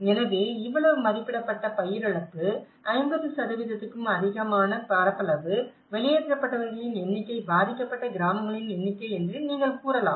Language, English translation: Tamil, So, you can say that estimated crop loss this much, area more than 50%, number of people evacuated, number of villages affected